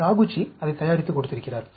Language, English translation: Tamil, Taguchi has prepared and given it